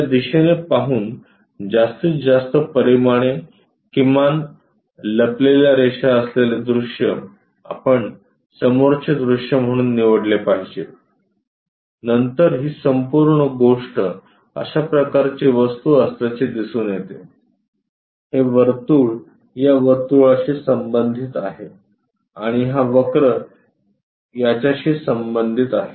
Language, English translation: Marathi, Maximum dimensions minimum hidden lines this is the direction we we should choose for front view, then this entire thing turns out to be such kind of object, this circle corresponds to this circle and this curve corresponds to this one